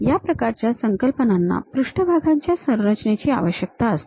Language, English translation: Marathi, This kind of concepts requires surface construction